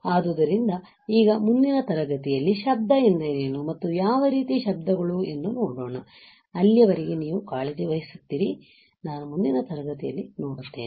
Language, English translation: Kannada, So, now, in the next class, let us see how the noise what is noise and what are kind of noises, till then you take care, I will see in the next class, bye